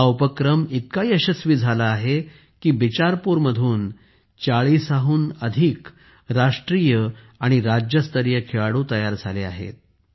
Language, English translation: Marathi, This program has been so successful that more than 40 national and state level players have emerged from Bicharpur